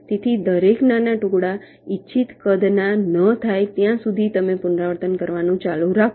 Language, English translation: Gujarati, so you go on repeating till each of the small pieces are of the desired size